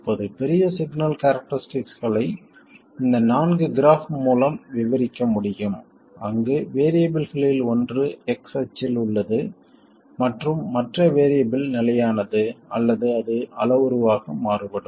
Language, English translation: Tamil, Now, the large signal characteristics can be described by these four graphs where one of the variables is on the x axis and the other variable is fixed or it is varied as a parameter